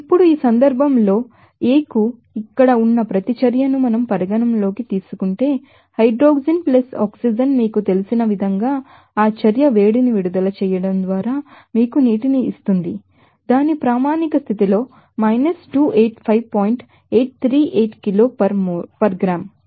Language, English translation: Telugu, Now, in this case if we consider that reaction A has here, hydrogen + oxygen that will give you that water just by releasing that heat of reaction as you know 285 point 838 kilo per gram old at its standard condition